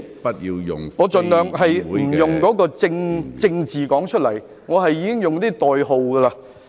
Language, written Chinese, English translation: Cantonese, 我已經盡量不用正字唸出來，而是用代號。, I have tried my best not to read out the original words but use codes instead